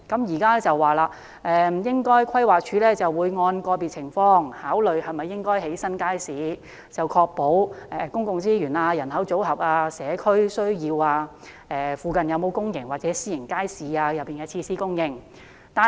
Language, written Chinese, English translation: Cantonese, 現時規劃署說會按個別情況，考慮應否興建新街市，考慮因素包括公共資源、人口組合、社區需要、鄰近有否公營或私營街市設施等。, The Planning Department now says that the building of a new market will be considered on individual merits . Factors to be considered include public resources composition of population community needs whether public or private market facilities are available in proximity and so on